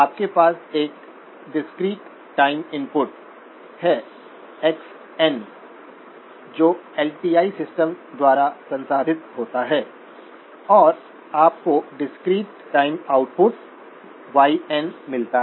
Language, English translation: Hindi, You have a discrete time input, x of n which gets processed by the LTI system and you get discrete time output y of n